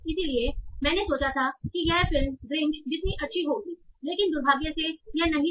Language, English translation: Hindi, So like, like, I thought this movie would be as good as the Grinch, but unfortunately it wasn't